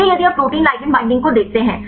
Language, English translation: Hindi, So, if you look at the protein ligand binding